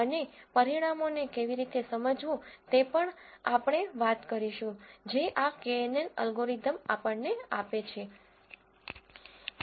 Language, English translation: Gujarati, And we will also talk about how to interpret the results that this knn algorithm gives to us